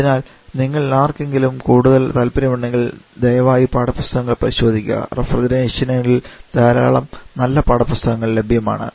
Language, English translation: Malayalam, So, if any of you have for the interest, please refer to take books, there are several very good textbook available on refrigeration